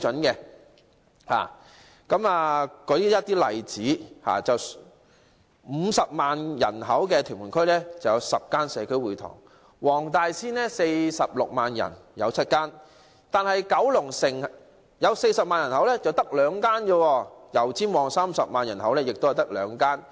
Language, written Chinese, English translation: Cantonese, 例如，屯門區50萬人口有10間社區會堂；黃大仙46萬人口有7間；但九龍城40萬人口卻只有兩間；油尖旺30萬人口也是只有兩間。, For example there are 10 community halls in Tuen Mun with a population of 500 000; seven in Wong Tai Sin with a population of 460 000 but there are only two in Kowloon City with a population of 400 000 as well as in Yau Tsim Mong with a population of 300 000